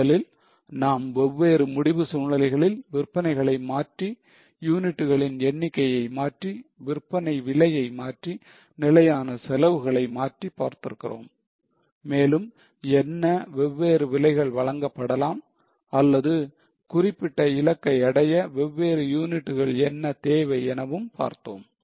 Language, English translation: Tamil, Firstly, we have looked at different decision scenarios with tweaking of sales, with tweaking of number of units, with tweaking of selling prices, with tweaking of fixed costs, what different prices can be offered or what different units are required for achieving certain target